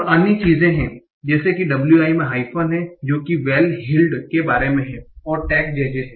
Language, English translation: Hindi, And there are other things like WI contains hyphen, that is in the case of well heeled, and tag is J J